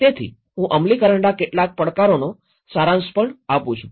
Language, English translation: Gujarati, So, I am also summarizing a few implementation challenges